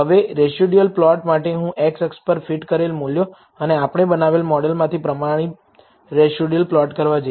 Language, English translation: Gujarati, Now, for the residual plot, I am going to plot fitted values on the x axis and the standardized residual from the model we have built